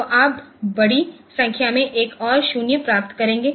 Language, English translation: Hindi, So, you will get a large number of ones and zeroes